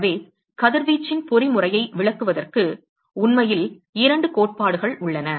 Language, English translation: Tamil, And so, there are 2 theories which are actually available to explain the mechanism of radiation